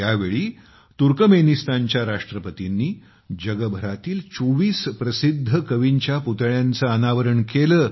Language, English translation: Marathi, On this occasion, the President of Turkmenistan unveiled the statues of 24 famous poets of the world